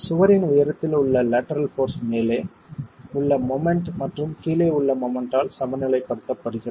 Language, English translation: Tamil, The lateral force into the height of the wall is equilibrated by the moment at the top and the moment at the bottom